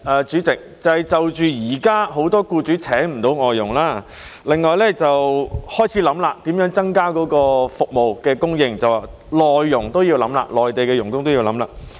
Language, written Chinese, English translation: Cantonese, 主席，第一，就現時很多僱主聘請不到外傭，當局亦開始考慮如何增加這項服務的供應，包括將內傭列入考慮。, President first many employers are now unable to hire FDHs . The authorities have also started to consider how to increase this service supply including putting MDHs into their consideration